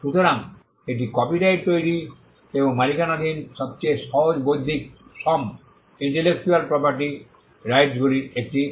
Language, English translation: Bengali, So, that makes copyright one of the easiest intellectual property rights to create and to own